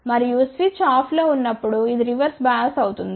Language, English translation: Telugu, And, when the switch is off this will be a reverse bias reverse bias